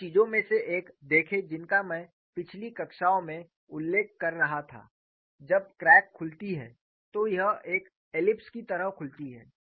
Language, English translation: Hindi, See one of the things that I have been mentioning in earlier classes was, when the crack opens, it opens like an ellipse; this is what I have been mentioning